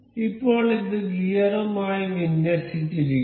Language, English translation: Malayalam, Now, it is aligned with the gear